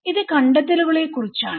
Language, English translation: Malayalam, This is about the findings